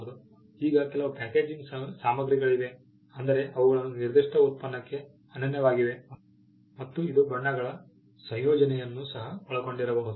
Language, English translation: Kannada, Now there are some packaging materials there are unique to a particular product that can also be covered